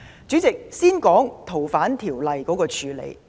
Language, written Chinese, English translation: Cantonese, 主席，我先說說修訂《逃犯條例》的處理。, President let me talk about the handling of the FOO amendment first